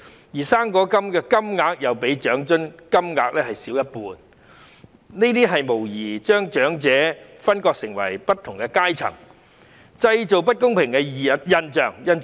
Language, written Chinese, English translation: Cantonese, 此外，"生果金"的金額亦較長津金額少一半，這無疑把長者分化為不同的階層，製造不公平的現象。, Besides the amount of fruit grant is less than that of OALA by half . This will undoubtedly classify elders into different groupings creating unfairness